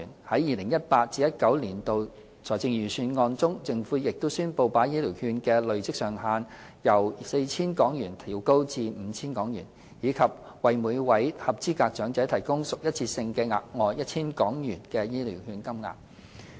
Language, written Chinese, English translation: Cantonese, 在 2018-2019 年度財政預算案中，政府亦宣布把醫療券的累積上限由 4,000 港元調高至 5,000 港元，以及向每位合資格長者額外提供屬一次性質的 1,000 港元醫療券金額。, The Government also announced in the 2018 - 2019 Budget that the accumulation limit of HCVs will be increased from 4,000 to 5,000 while an additional 1,000 worth of HCVs will be provided on a one - off basis to each eligible elderly person